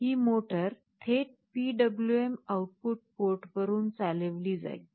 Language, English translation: Marathi, This motor will be driven directly from a PWM output port